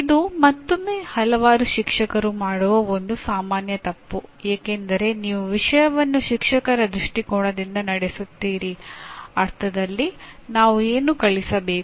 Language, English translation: Kannada, This is again a kind of a common mistake that is done by several teachers because you look at the subject from a teacher perspective in the sense that I need to teach